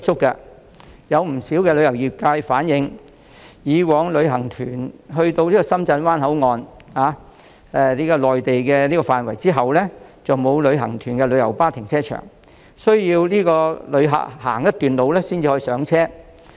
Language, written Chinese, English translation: Cantonese, 不少旅遊業界人士曾經反映，以往深圳灣口岸的內地範圍並沒有提供讓旅行團使用的旅遊巴停車場，旅客需要步行一段路程才可上車。, As pointed out previously by a number of trade members in the tourism industry since no parking lot was provided in the Mainland side of the Shenzhen Bay Port for coaches serving tour groups passengers had to walk to the pick - up point before they could get on board a coach